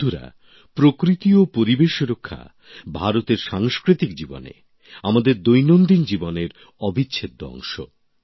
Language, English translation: Bengali, Friends, the protection of nature and environment is embedded in the cultural life of India, in our daily lives